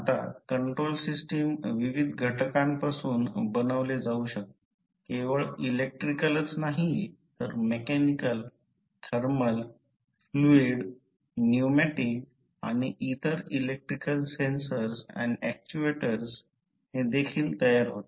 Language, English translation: Marathi, Now, the control system may be composed of various components, not only the electrical but also mechanical, thermal, fluid, pneumatic and other electrical sensors and actuators as well